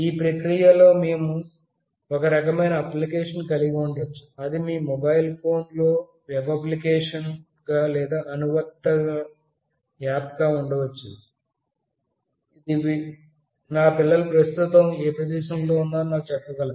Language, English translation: Telugu, In this process we can have some kind of application maybe it as a web application or an app in your mobile phone, it should able to tell me the current location of my child